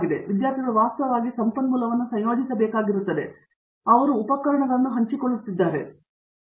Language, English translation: Kannada, So, therefore, like students will have to actually combine the resource and they may be also sharing equipment and so on